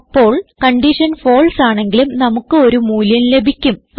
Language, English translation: Malayalam, Anyhow if the condition is false then also we will get a value that is 0